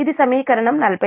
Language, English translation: Telugu, this is equation forty nine